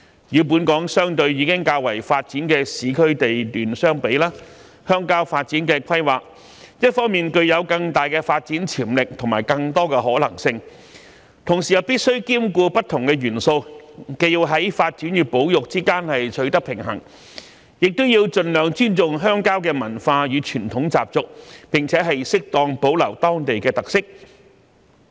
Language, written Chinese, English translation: Cantonese, 與本港相對已較為發展的市區地段相比，鄉郊發展的規劃一方面具有更大的發展潛力和更多的可能性，同時又必須兼顧不同的元素，既要在發展與保育之間取得平衡，又要盡量尊重鄉郊的文化與傳統習俗，並適當保留當地的特色。, As compared with the planning of the urban areas which are the more developed part of Hong Kong the planning of the rural areas will bring about greater development potential and possibilities . At the same time however rural planning must also take care of different factors . One must strike a balance between development and conservation strive to respect rural cultures traditions and customs and suitably preserve local characteristics